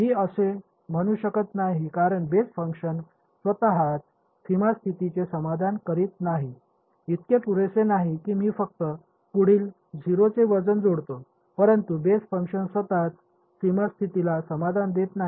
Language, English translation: Marathi, I cannot I mean because the basis functions themselves I am not satisfying the boundary conditions its not enough that I just attach a weight next do to which is 0, but the basis function itself is not satisfying the boundary condition